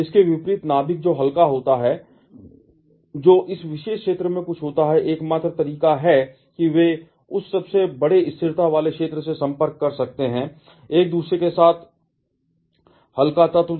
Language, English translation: Hindi, On the contrary, the nucleus which are lighter that is something in this particular zone, the only way they can approach that largest stability zone is by combing with another lighter element